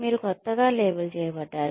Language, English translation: Telugu, You are labelled as a newcomer